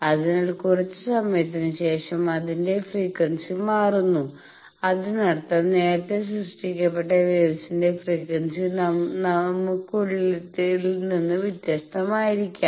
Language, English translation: Malayalam, So, after some time it changes it is frequency; that means, the waves which were generated earlier maybe there their frequency was different from what we have